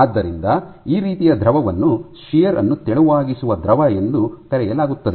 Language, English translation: Kannada, So, this kind of fluid is called a shear thinning fluid